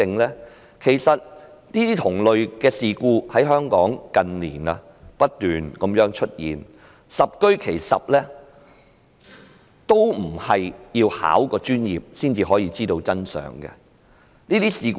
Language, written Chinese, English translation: Cantonese, 這些同類事故近年在香港不斷出現，十居其十也不是需要具備專業資格才知道真相。, Similar incidents have never ceased to occur in Hong Kong in recent years . In all of these cases one does not need any professional qualification to find out the truth